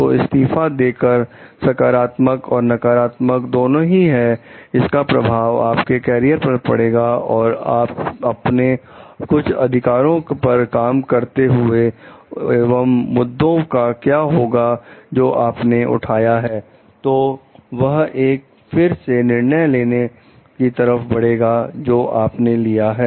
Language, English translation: Hindi, So, resigning has both positive and negative maybe like ways of saying things, and you like the effect on your carrier, and like working on some of your rights, and what happens with the like issue that you have raised, so and that may lead to a judgment again that you take